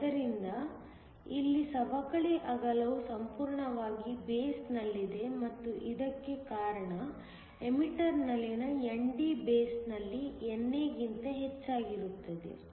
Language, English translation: Kannada, So, here the depletion width is fully in the base, and this is because ND in the emitter is much greater than NA in the base